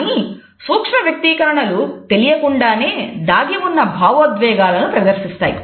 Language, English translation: Telugu, However, micro expressions unconsciously display a concealed emotion